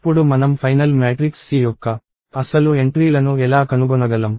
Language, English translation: Telugu, So, given that, how do we now find out the actual entries of the final matrix C